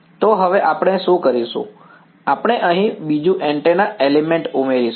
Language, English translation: Gujarati, So, what we will do is now we will add another antenna element over here ok